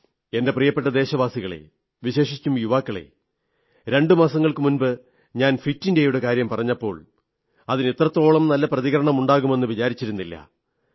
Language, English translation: Malayalam, My dear countrymen, especially my young friends, just a couple of months ago, when I mentioned 'Fit India', I did not think it would draw such a good response; that a large number of people would come forward to support it